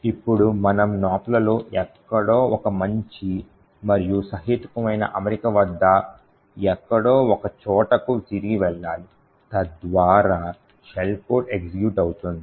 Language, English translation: Telugu, Now we need to jump back somewhere in the Nops at a decent at a reasonable alignment so that the shell code executes